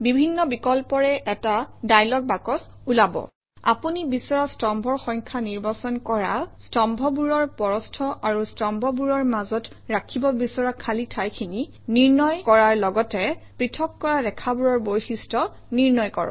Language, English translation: Assamese, A dialog box appears with various options selecting the number of columns you want, setting the width and spacing of these columns as well as setting the various properties of the separator lines